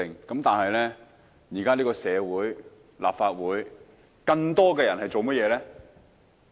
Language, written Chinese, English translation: Cantonese, 但現在的社會、立法會中，更多的人在做甚麼呢？, But nowadays in society and in the Legislative Council what are more people doing?